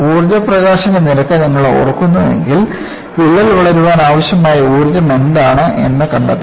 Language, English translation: Malayalam, If you recall in the energy release rate, I said I want to find out, what is the energy required for the crack to grow